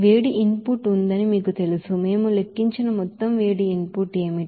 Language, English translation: Telugu, Now, you know that heat input is there, what would be the total heat input there we have calculated